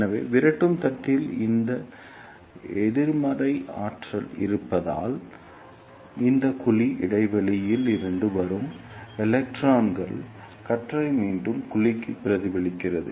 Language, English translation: Tamil, So, because of this negative potential at repeller plate, the electron beam coming from this cavity gap is reflected back to the cavity